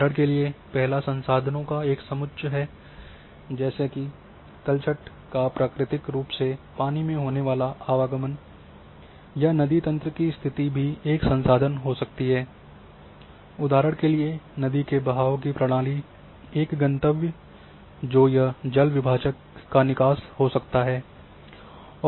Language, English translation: Hindi, The first one is a set of resources for example, sediments transported by the water along a fluvial natural system or river network location of resources a fluvial system for example, a destination that is the outlet of the watershed